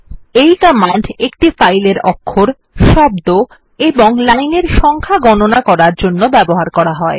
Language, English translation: Bengali, This command is used to count the number of characters, words and lines in a file